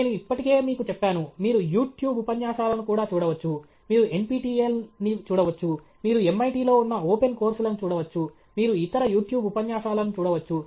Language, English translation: Telugu, Communication skills I have already told you okay; you can also look at YouTube lectures; you can look at NPTEL; you can look at open course, which are on MIT; you can look at other YouTube lectures